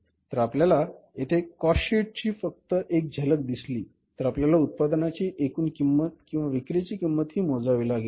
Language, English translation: Marathi, So, if you see the cost here just a glimpse that we have the to calculate the total cost of the product we have here that is the total cost or the cost of sales